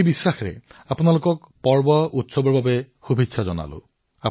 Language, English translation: Assamese, With this very belief, wish you all the best for the festivals once again